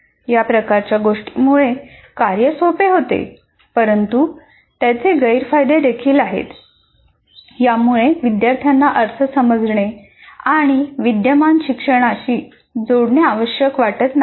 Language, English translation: Marathi, While this kind of thing makes the task simple, but has the disadvantage that it does not require learners to create a meaning and to connect it to their existing learning